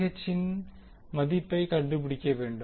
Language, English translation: Tamil, Now, you need to find the value of Vth